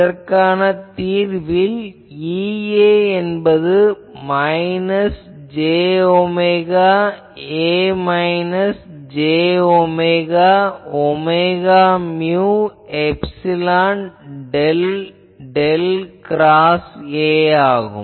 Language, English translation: Tamil, While we discuss the general solution that thing so we can write E A is equal to minus J omega A minus j by omega mu epsilon del del cross A